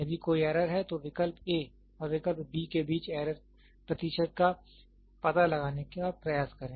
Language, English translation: Hindi, If at all there is an error, try to find out the error percentage between option A and option B, option A and option B